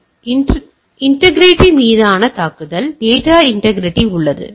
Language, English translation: Tamil, So, it is a attack on integrity, integrity of data is there